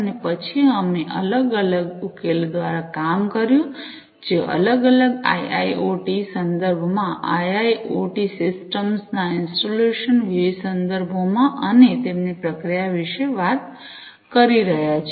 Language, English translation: Gujarati, And then we worked through different solutions, that are talking about installations in different IIoT contexts installations of IIoT systems, in different contexts and their processing